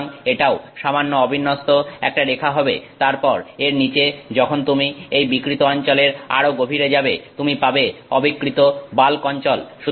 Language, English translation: Bengali, So, this is also going to be some slightly non uniform line and then below that when you go deeper than this deformed region you will have the undeformed bulk region